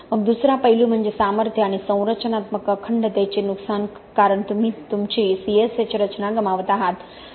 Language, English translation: Marathi, Then the other aspect is a loss of strength and structural integrity because you are losing your C S H structure